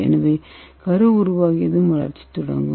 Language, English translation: Tamil, So once the nucleus is formed then the growth will start